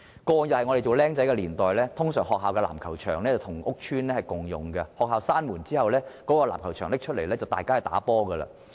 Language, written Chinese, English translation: Cantonese, 過往我年輕的時候，一般學校的籃球場跟屋邨共用，學校關門後，籃球場便會開放讓大家玩籃球。, When I was young basketball courts were generally shared resources between schools and the nearby housing estates . The basketball courts would be open to the public after school hours